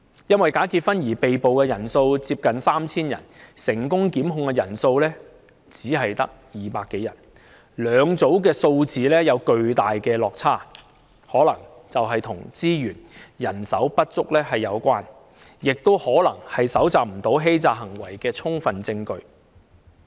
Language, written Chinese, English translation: Cantonese, 因假結婚而被捕的人數接近 3,000 人，但成功檢控的人數只有200多人，兩組數字有巨大落差，這可能是與資源和人手不足有關，亦可能是由於無法搜集到相關欺詐行為的充分證據。, While the number of persons arrested for bogus marriages neared 3 000 only 200 - odd persons were successfully prosecuted . The substantial difference between these two figures may have something to do with inadequate resources and manpower and may probably result from the failure to collect sufficient evidence of the relevant fraudulent acts